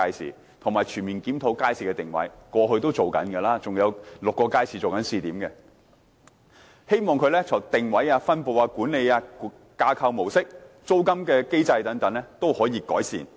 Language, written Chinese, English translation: Cantonese, 此外，當局會全面檢討街市的定位，這是過去正進行的，還有6個街市正在做試點，希望在定位、分布、管理、架構模式和租金機制等方面也作出改善。, Moreover the authorities will conduct a comprehensive review of the positioning of public markets which was carried out in the past . The authorities have included six public markets in a pilot scheme trying to make improvements in positioning distribution management structure and mode and rental mechanism and so on